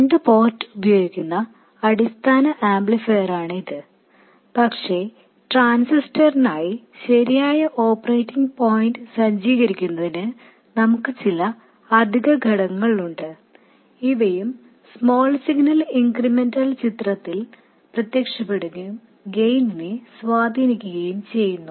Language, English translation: Malayalam, It is the basic amplifier using the 2 port but to set up the correct operating point for the transistor, we have some additional components which also appear in the small signal incremental picture and influence the gain